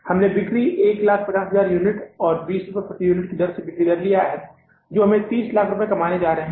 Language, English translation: Hindi, We have taken the sales 150,000 units at the rate of 20 per unit, the selling price